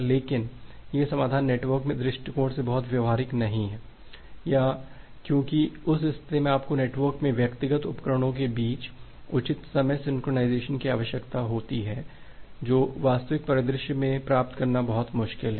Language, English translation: Hindi, But this particular solution is not very feasible or not very practical from a network perspective because in that case you require proper time synchronization among individual devices in the network, which is very difficult to achieve in a real scenario